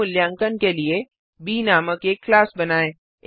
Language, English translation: Hindi, For self assessment, create a class named B